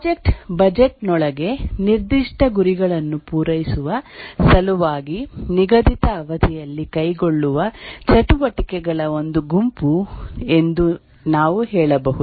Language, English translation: Kannada, We can also say that a project is a set of activities undertaken within a defined time period in order to meet specific goals within a budget